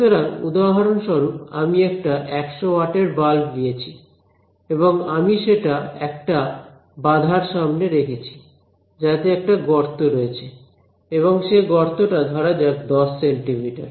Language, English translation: Bengali, So for example, I take a you know 100 watt bulb and I put in front of it barrier with a hole in it and that hole is let us say you know 10 centimeters